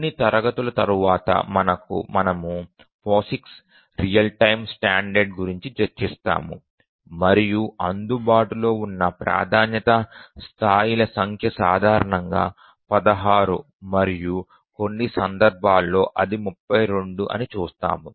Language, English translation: Telugu, A little later after a few classes we will look at the POSIX real time standard and we'll see that the number of priority levels that are available is typically 16 and in some cases we'll see that it is 32